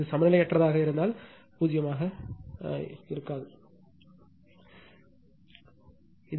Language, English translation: Tamil, If it is unbalanced may be 0, may not be 0 right